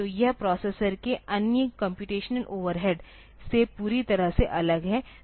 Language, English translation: Hindi, So, it is totally separated from the other computational overhead of the processor